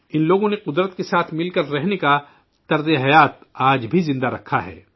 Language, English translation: Urdu, These people have kept the lifestyle of living in harmony with nature alive even today